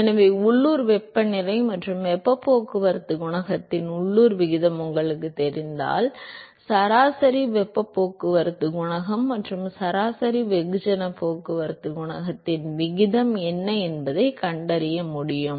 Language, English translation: Tamil, So, if you know the local ratio of the local heat mass and heat transport coefficient, you should be able to find out what is the ratio of average heat transport coefficient and average mass transport coefficient